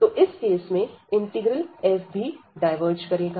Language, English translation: Hindi, So, in that case this integral f will also diverge